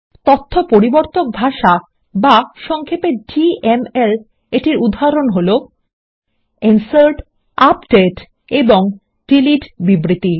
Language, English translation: Bengali, Examples of Data Manipulation Language, or simply DML are: INSERT, UPDATE and DELETE data